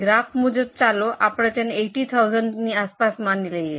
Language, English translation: Gujarati, As for the graph, let us assume it is around 80,000